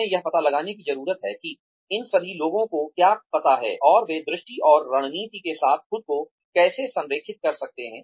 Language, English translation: Hindi, We need to find out, what all of these people know, and how can they align themselves, with the vision and strategy